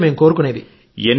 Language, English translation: Telugu, This is what we wish